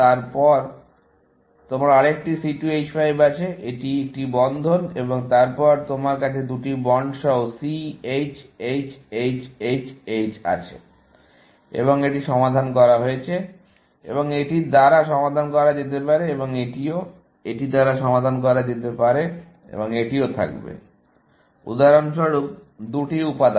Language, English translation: Bengali, Then, you have another C2 H5; it is a bond and then, you have C, H, H, H, H, H, with two bonds, and this is solved; and this can be solved by, and this also, can be solved by this, and this will have, for example, two components